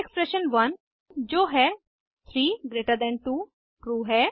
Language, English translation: Hindi, Here, expression1 that is 32 is true